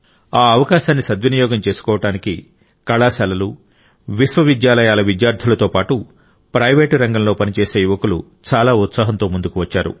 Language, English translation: Telugu, And to avail of its benefits, college students and young people working in Universities and the private sector enthusiastically came forward